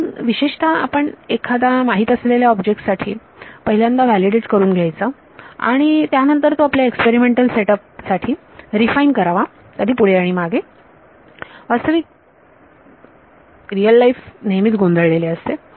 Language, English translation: Marathi, So, typically you would first validate against some known object then use that to refine your experimental setup and back and forth the real world is always very messy